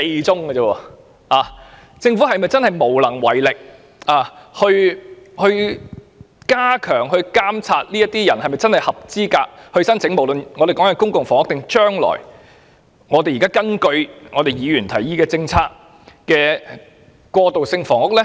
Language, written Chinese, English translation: Cantonese, 政府是否無力加強監察申請人是否真正符合資格申請公屋甚或現時議員提議興建的過渡性房屋呢？, Is the Government unable to step up screening whether an applicant is truly eligible for PRH or even the transitional housing proposed now?